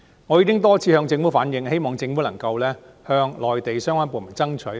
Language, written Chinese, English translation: Cantonese, 我已經多次向政府反映，希望政府能夠向內地相關部門爭取。, I have relayed my views to the Government time and again . I hope that the Government will liaise with the relevant departments on the Mainland